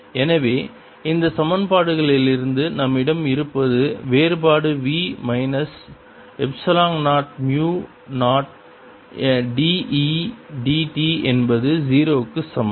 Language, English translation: Tamil, so what we have from these equations is divergence of v minus epsilon zero, mu zero d e d t is equal to zero